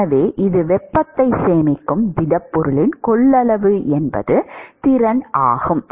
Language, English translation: Tamil, So, it is the capacitance or the capacity of the solid to store heat